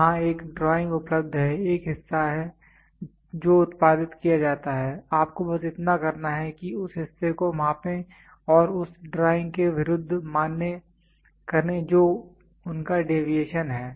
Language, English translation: Hindi, There is a drawing available, there is a part which is produced, all you have to do this measure the part and validate as against the drawing what is their deviation